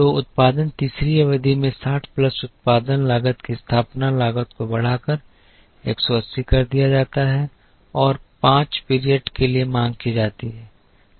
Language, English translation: Hindi, So, the production is done in the third period by incurring a setup cost of 60 plus production cost is 180 into 5 plus the demand for both the periods are backordered